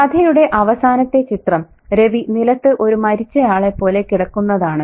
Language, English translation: Malayalam, So, and again, the last image that we have of Ravi is lying on the ground like a dead person, you know